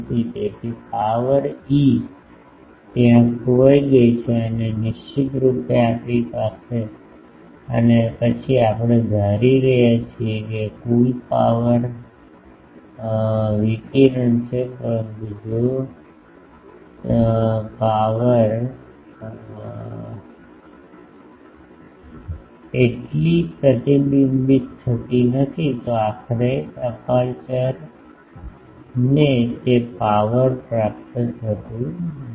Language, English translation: Gujarati, So, power is lost there and definitely then we are assuming total power radiated, but if that power is not reflected so, ultimately aperture is not getting that power